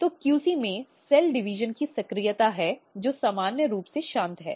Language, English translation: Hindi, So, there is a activation of cell division in the QC which is normally silent